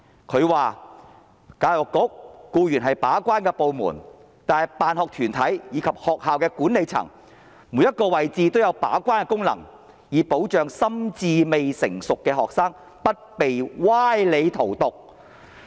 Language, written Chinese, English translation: Cantonese, 她說："教育局固然是把關的部門，但辦學團體以及學校的管理層'每一個位置都有把關的功能'，以保障心智未成熟的學生不被歪理荼毒"。, She said to the effect that while the Education Bureau is inherently the gate - keeping department but school sponsoring bodies and school management should also perform a gate - keeping role in their respective positions in order to protect students who are not mature in thinking from being led astray by such specious arguments